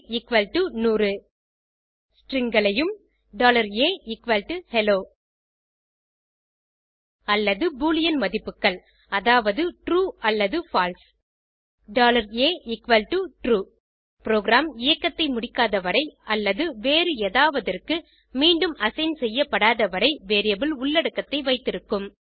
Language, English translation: Tamil, strings $a=hello or boolean values that is true or false $a=true Variable keeps the content until program finishes execution or until it is reassigned to something else